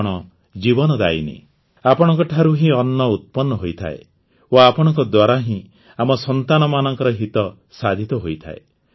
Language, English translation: Odia, You are the giver of life, food is produced from you, and from you is the wellbeing of our children